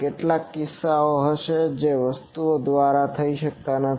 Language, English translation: Gujarati, There will be some instances which cannot be done by the things